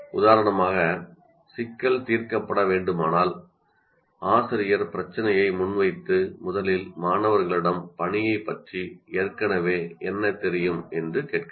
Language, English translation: Tamil, For example, if a problem is to be solved, presents the problem, and first ask the students what is that they already know about the task